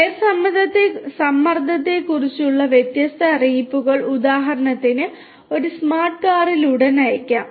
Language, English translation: Malayalam, Different notifications about tyre pressures for example, in a smart car could be sent immediately